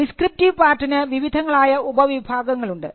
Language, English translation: Malayalam, So, the descriptive part has various subheadings